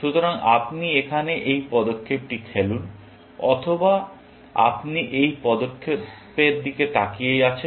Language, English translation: Bengali, So, you play this move here, or you are looking at this move